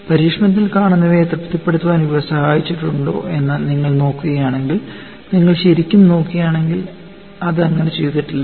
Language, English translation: Malayalam, And if you look at whether it has helped in satisfying what is seen in the experiment, if you really look at, it has not done so